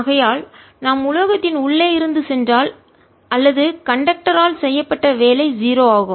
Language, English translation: Tamil, therefore, if we go from inside the metal or conductor, work done is zero